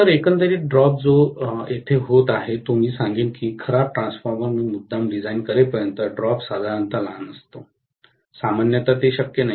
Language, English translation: Marathi, So, overall the drop that is taking place here, I would say the drop is generally small, unless I deliberately design a bad transformer which is generally not done